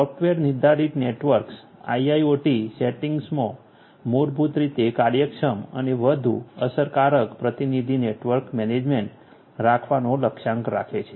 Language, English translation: Gujarati, Software defined networks basically targets to have efficient and more effective representative network management in the IIoT setting